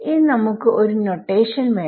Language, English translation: Malayalam, Now we also need a notation